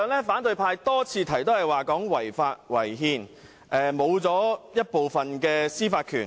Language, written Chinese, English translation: Cantonese, 反對派議員多次聲稱"一地兩檢"違法違憲，令香港喪失部分司法權。, Opposition Members have alleged time and again that the co - location arrangement is both unlawful and unconstitutional and will deprive Hong Kong of part of its jurisdiction